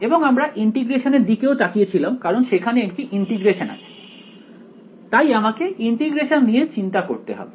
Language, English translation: Bengali, And we also looked at integration because you can see there is an integration here we will have to worry about integration ok